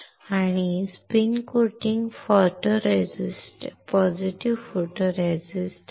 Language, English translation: Marathi, We have spin coated positive photoresist